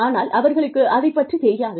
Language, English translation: Tamil, But, they do not know about it